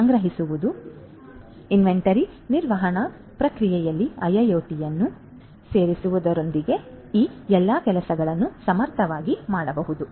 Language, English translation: Kannada, So, all of these things can be done efficiently with the incorporation of IIoT in the inventory management process